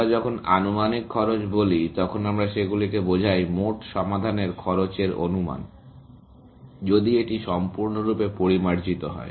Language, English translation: Bengali, When we say estimated cost, we mean them; estimation of the cost of the total solution, if that was to be completely refined